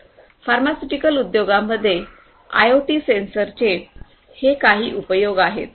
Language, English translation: Marathi, So, these are some of these uses of IoT sensors in the pharmaceutical industries